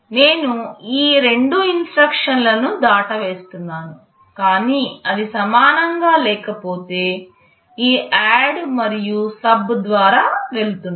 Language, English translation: Telugu, I am skipping these two instructions, but if it is not equal then I am going through this ADD and SUB